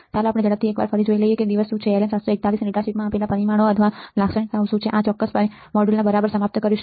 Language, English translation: Gujarati, Let us quickly see once again what are the day, what is what are the parameters or the characteristics given in the data sheet of LM741 and we will end this particular module all right